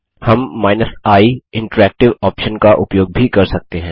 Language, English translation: Hindi, We can use the i option with the mv command